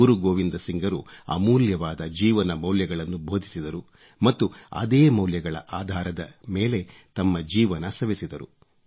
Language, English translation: Kannada, Guru Gobind Singh ji preached the virtues of sublime human values and at the same time, practiced them in his own life in letter & spirit